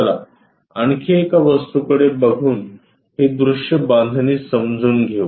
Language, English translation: Marathi, Let us look at one more object to understand this view construction